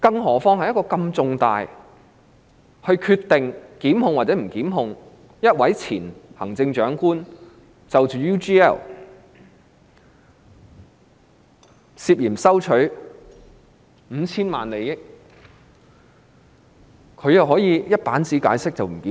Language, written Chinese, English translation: Cantonese, 那是一個如此重大的決定，關乎會否檢控一位前行政長官涉嫌收取 UGL5,000 萬元的利益，但她卻只用一頁紙解釋不予檢控。, That was a major decision as to whether a former Chief Executive would be prosecuted for receiving 50 million from UGL but she only explained on one page that prosecution would not be initiated